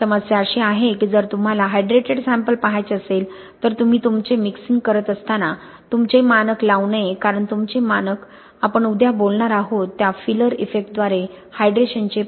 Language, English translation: Marathi, The problem is if you want to look at the hydrated sample you must not put your standard in when you are doing your mixing because your standard can through the filler effect we talk about tomorrow can impact the hydration itself